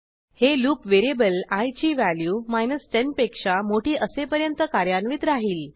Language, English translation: Marathi, This loop will execute as long as the variable i is greater than 10